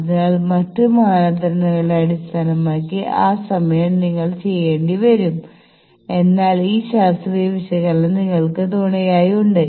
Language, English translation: Malayalam, So, that time based on other criteria you will have to do, but you have this scientific analysis behind you